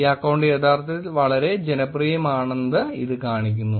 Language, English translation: Malayalam, Then this shows that this account is actually very popular